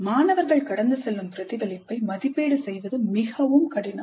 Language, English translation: Tamil, So it is very difficult to evaluate the reflection that the students go through